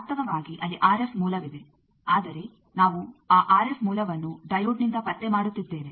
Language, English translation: Kannada, It is the same thing actually there is an RF source, but we are detecting that RF source with a diode